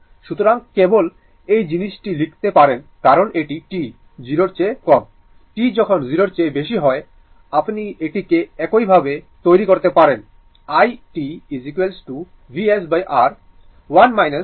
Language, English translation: Bengali, So, or we can write simply this thing because it is t less than 0, t greater than 0, you can make it like this i t is equal to V s upon R, 1 minus e to the power minus t upon tau into u t